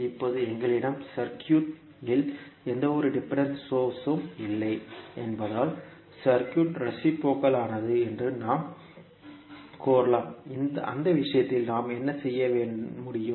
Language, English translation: Tamil, Now since we do not have any dependent source in the circuit, we can say that the circuit is reciprocal so in that case, what we can do